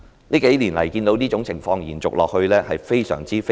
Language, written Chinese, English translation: Cantonese, 這數年來，我看到這種情況延續下去，感到非常痛心。, Over the past few years I have seen this situation continue and this I think is deeply saddening